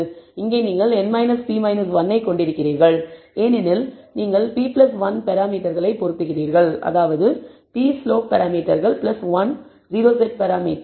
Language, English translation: Tamil, Here you have n minus p minus 1 because you are fitting p plus 1 parameters p is slope parameters plus 1 o set parameter